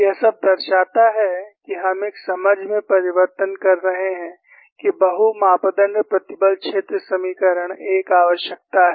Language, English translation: Hindi, All this show, that we are converging into an understanding that multi parameters stress field equations are a necessity